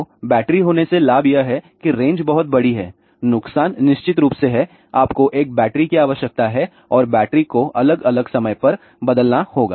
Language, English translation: Hindi, So, the advantage of having a battery is that the range is much larger the disadvantage is of course, you need a battery and the battery needs to be change at different times